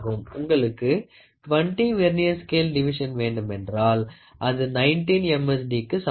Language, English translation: Tamil, 1 centimeter and if you want to have 20 Vernier scale divisions is equal to 19 MSD